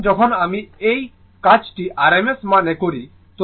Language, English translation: Bengali, So, when you do it this thing in rms value